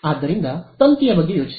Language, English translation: Kannada, So, just think of a wire